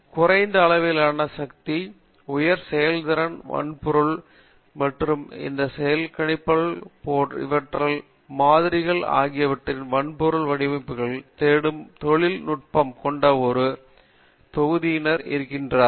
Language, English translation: Tamil, There is a set of people, set of industry which are looking at these types of hardware designs of low power, high performance hardware and they are looking at different models of computation